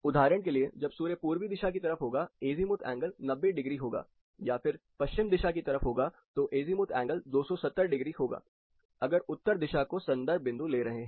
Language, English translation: Hindi, For example, when sun is right on the eastern side, you can say it is 90 degree or towards the west it will be 270 degrees if you are taking north as a reference point